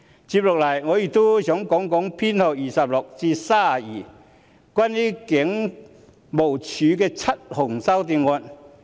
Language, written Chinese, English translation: Cantonese, 接下來，我也想談談修正案編號26至 32， 即關於香港警務處的7項修正案。, Next I would like to talk about Amendment Nos . 26 to 32 the seven amendments concerning the Hong Kong Police Force